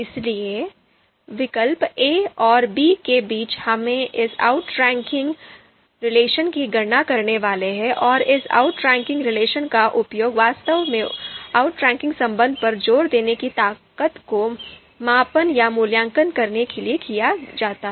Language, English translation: Hindi, So, between a and b, given two alternatives a and b, so between a and b we are supposed to compute this outranking degree and this outranking degree is actually used to measure or evaluate the strength of the assertion on outranking relation